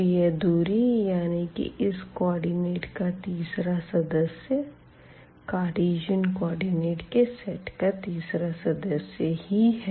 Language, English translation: Hindi, So, that distance the third member of this point here is the same as this set in the Cartesian coordinate